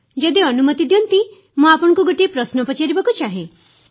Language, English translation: Odia, If you permit sir, I would like to ask you a question